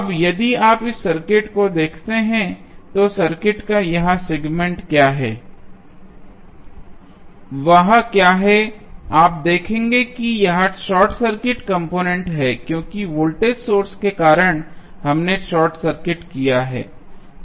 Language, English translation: Hindi, Now, if you see this circuit, this segment of the circuit what, what is there you will see this is the short circuit compartment because of the voltage source we short circuited